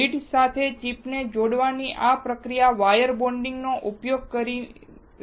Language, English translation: Gujarati, This process of connecting the chip to the lead is using wire bonding